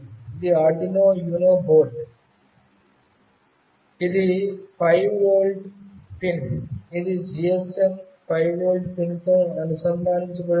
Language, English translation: Telugu, This is the Arduino Uno board, this is the 5 volt pin, which is connected to the GSM 5 volt pin